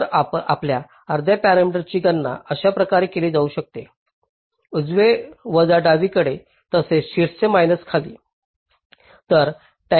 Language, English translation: Marathi, so your half parameter can be calculated like this: right minus left plus top minus bottom, so timing constraints